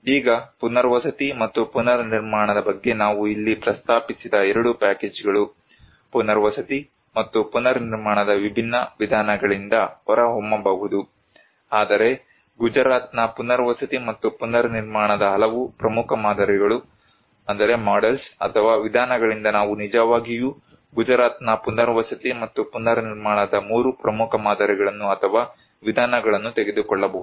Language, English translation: Kannada, Now, the 2 packages we mentioned here of rehabilitation and reconstructions, from that different approaches of rehabilitation and reconstruction may emerge, but we can actually take out of that many, 3 very prominent models or approaches of rehabilitation and reconstruction of the Gujarat